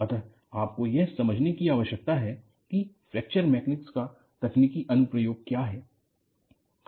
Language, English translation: Hindi, So, you need to understand this, and, what is the technological application of Fracture Mechanics